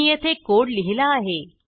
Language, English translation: Marathi, I have written the code here